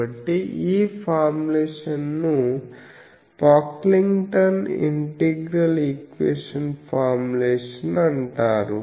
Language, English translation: Telugu, So, this formulation is called Pocklington’s integral equation formulation